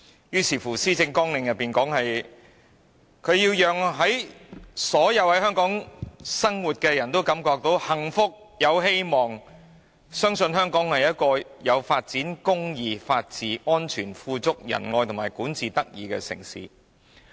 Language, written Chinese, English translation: Cantonese, 於是施政綱領便說要讓所有生活在香港的人都感覺幸福、有希望，相信香港是個有發展、公義、法治、安全、富足、仁愛和管治得宜的城市。, Hence it is stated in the Policy Agenda that the Governments vision is to build Hong Kong into a metropolis with happiness and hope where the residents are assured of prosperity justice rule of law safety affluence compassion and good governance